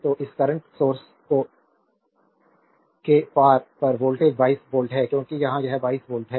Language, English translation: Hindi, So, across this across this current source the voltage is also 22 volt because here it is across this is 22 volt